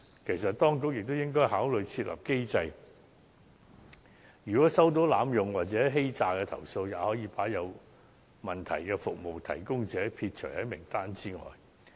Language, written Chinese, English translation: Cantonese, 其實，當局也應該考慮設立機制，如果接獲濫用或欺詐的舉報，可把有問題的服務提供者撇除在名單外。, Indeed the authorities should also consider putting in place a mechanism under which problematic service providers will be removed from the list once they are reported for offences such as abusive use or fraud